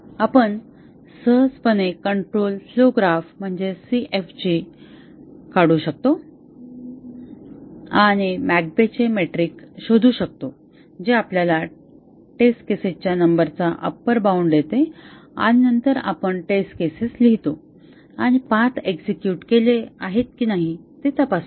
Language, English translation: Marathi, We can easily draw the CFG and find out the McCabe’s metric which gives us upper bound on the number of test cases and then we write those test cases and check whether the paths are executed